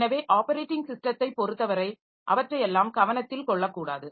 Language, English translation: Tamil, So, as far as the operating system is concerned, they should not be made to take care of all of them